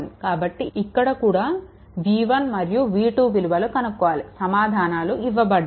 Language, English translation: Telugu, So, here also v 1 and v 2 you have to find out right answers are given